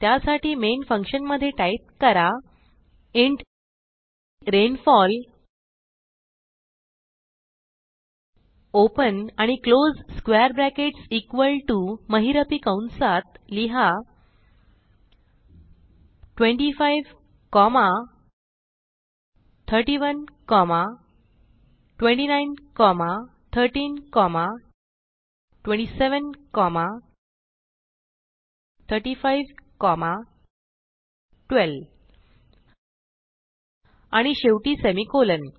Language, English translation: Marathi, So Inside main function, type int rainfall open and close brackets equal to within curly brackets type 25, 31, 29, 13, 27, 35, 12 and finally a semicolon